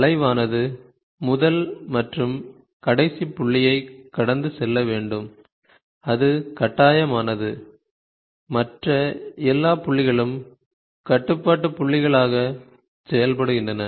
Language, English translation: Tamil, The curve must pass through first and last point, that is compulsory, with all the other points acting as a control points